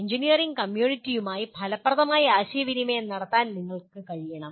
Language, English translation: Malayalam, That is you should be able to communicate effective with engineering community